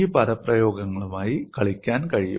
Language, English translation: Malayalam, It is possible to play with these expressions